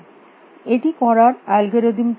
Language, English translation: Bengali, What would be an algorithm for doing this